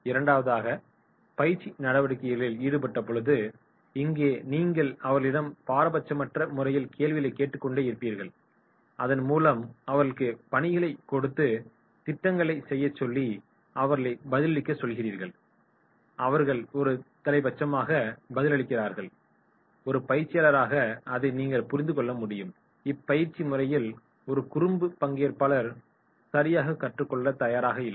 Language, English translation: Tamil, Second is nonparticipation in the training activities, here you will find that is you keep on asking them the questions, you are giving them assignments, you are asking them to do the projects, you are asking them to response and then they just one side response they do and then you can understand as a trainer that is no, this trainee is a naughty boy, he is not ready to learn right